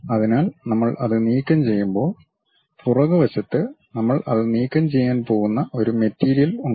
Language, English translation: Malayalam, So, when we remove that, at back side there is a material that one we are going to remove it